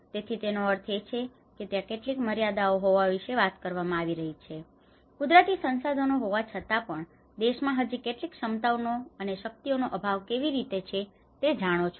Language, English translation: Gujarati, So which means that is where it is talking about where there is certain limitations and even having natural resources, how the country is still lacking with some abilities you know how the capacities